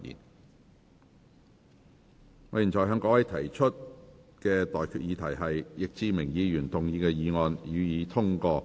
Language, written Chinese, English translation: Cantonese, 我現在向各位提出的待決議題是：易志明議員動議的議案，予以通過。, I now put the question to you and that is That the motion moved by Mr Frankie YICK be passed